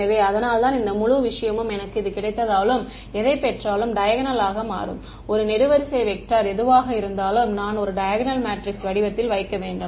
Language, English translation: Tamil, So, that is why this whole thing becomes diagonal of whatever I get, whatever I get is going to be a column vector I need to put into a diagonal matrix form right